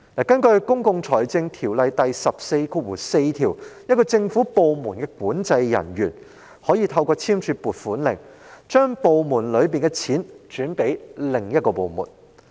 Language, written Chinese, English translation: Cantonese, 根據《公共財政條例》第144條，某政府部門的管制人員可透過簽署撥款令，將其部門轄下的款項轉撥予另一部門。, Under section 144 of the Public Finance Ordinance the controlling officer of a government department may sign an allocation warrant to deploy the funding of hisher department to another department